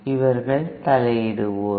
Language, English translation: Tamil, These are the interferers